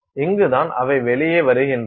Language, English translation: Tamil, So, this is where they are coming out